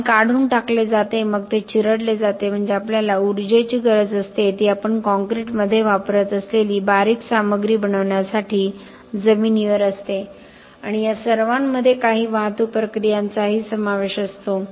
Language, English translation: Marathi, Water is removed then it is crushed so that means we need energy it is ground to make the fine material that we use in concrete and all this also involve some transportation processes